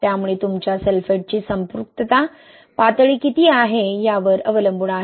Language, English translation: Marathi, Okay, so it depends, this is, what is the saturation level of your sulphates, right